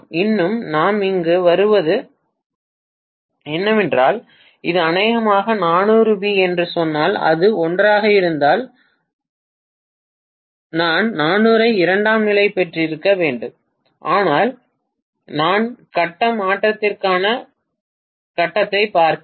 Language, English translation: Tamil, Still what we get here is if we say that this is probably 400 volts, if it is 1 is to 1 I should have gotten 400 itself of secondary, but I am looking at phase to phase transformation